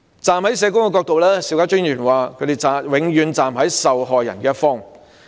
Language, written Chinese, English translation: Cantonese, 站在社工的角度，邵家臻議員說他們永遠站在受害人的一方。, From the perspective of social workers Mr SHIU Ka - chun said that they would always take side with the victims